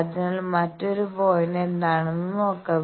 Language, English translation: Malayalam, So, let us see what is the other point